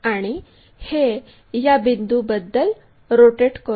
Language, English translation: Marathi, It is rotated about this point